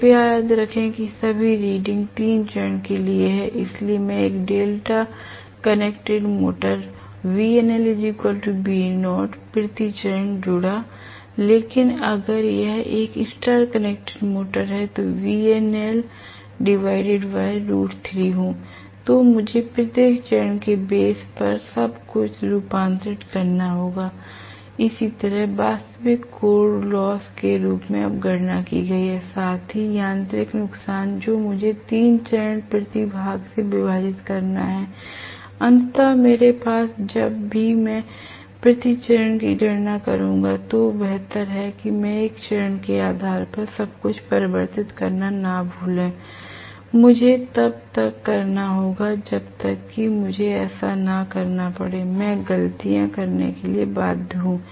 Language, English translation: Hindi, Please remember all the readings are for 3 phase, so I it a delta connected motor V no load will be equal to Vnaught per phase V0 per phase, but if it is a star connected motor V no lad divided by root 3, I have to do the conversion everything on a per phase bases, similarly what I have calculated now as the actual core loss plus the mechanical loss I have to divide by 3 per phase ultimately than I have whenever I do the per phase calculation I better not forget converting everything on a per phase bases, I have to do that, unless I do that I am bound to make mistakes